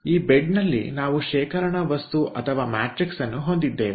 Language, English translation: Kannada, in this bed we have got storage material or matrix